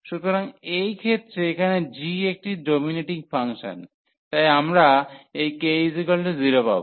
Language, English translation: Bengali, So, in this case here g is a dominating function, therefore we will get this k 0